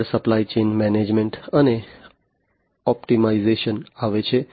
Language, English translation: Gujarati, Next comes supply chain management and optimization